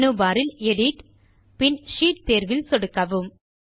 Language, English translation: Tamil, So we click on the Edit option in the menu bar and then click on the Sheet option